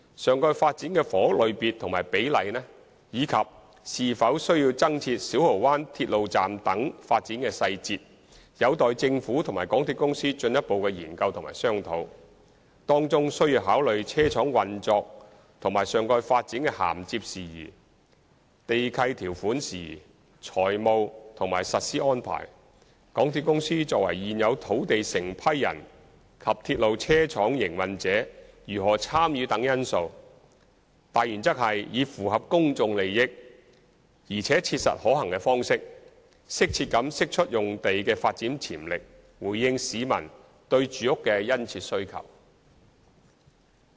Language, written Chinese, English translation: Cantonese, 上蓋發展的房屋類別及比例，以及是否需要增設小蠔灣鐵路站等發展細節，有待政府及港鐵公司進一步研究和商討，當中需要考慮車廠運作和上蓋發展的銜接事宜、地契條款事宜、財務和實施安排、港鐵公司作為現有土地承批人及鐵路車廠營運者如何參與等因素，大原則是以符合公眾利益，而且切實可行的方式，適切地釋出用地的發展潛力，回應市民對住屋的殷切需求。, Various development details including the housing type and ratio of the topside development and the need to provide the Siu Ho Wan Railway Station etc are to be further examined and discussed by the Government and MTRCL . Among others it is necessary to consider the interface between the depot operations and topside development matters on lease conditions financial and implementation arrangements how MTRCL as the current lessee and depot operator will participate etc . The major principle is that the development potential of the Site should be unlocked in a timely manner to meet the publics keen demand for housing through practicable arrangements in the public interest